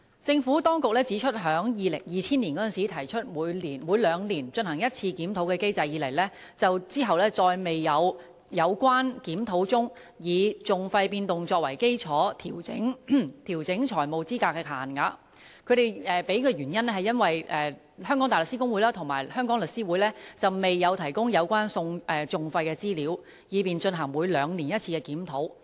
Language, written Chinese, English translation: Cantonese, 政府當局指出，自2000年提出每兩年進行一次檢討的機制，當局再沒有在檢討中以訟費變動作為基礎來調整財務資格限額，原因是香港大律師公會和香港律師會未有提供有關訟費的資料，以便進行每兩年一次的檢討。, The Administration points out that no adjustment has been made on financial eligibility limits on the basis of changes in litigation costs since the biennial review mechanism was introduced in 2000 for the Hong Kong Bar Association and The Law Society of Hong Kong have not provided the relevant information on litigation costs to facilitate the biennial reviews